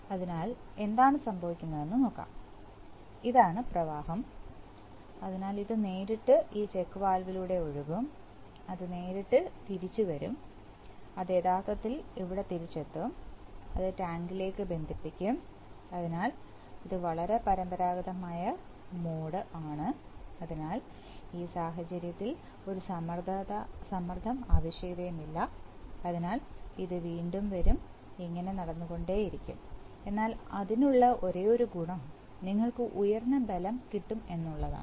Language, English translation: Malayalam, So then what will happen is that the this is, this will be the flow, so it will directly flows through this check valve, straight and it will comeback directly, it will actually come back here and it will get connected to tank, so that is a very conventional mode, so in this case it will, there is, there is no pressure requirement and it will, it will come back, so on the, only advantage is that since we are, we have higher force requirement